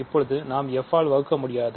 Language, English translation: Tamil, So now, we cannot divide by f